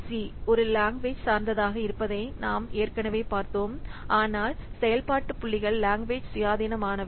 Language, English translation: Tamil, We have a lot seen LOC is language dependent but function points are language independent